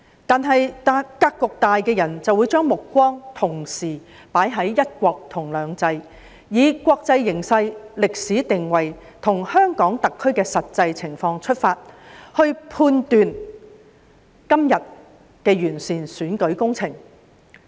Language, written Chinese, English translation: Cantonese, 不過，格局大的人會將目光同時放在"一國"及"兩制"上，以國際形勢，歷史定位及香港特區的實際情況出發，判斷今日的完善選舉工程。, However those with a broader perspective will focus on both one country and two systems and judge the present project on improving the electoral system in the light of the international landscape historic positioning and actual situation of the Hong Kong Special Administrative Region SAR